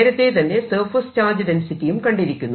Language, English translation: Malayalam, we have already calculated the surface charge density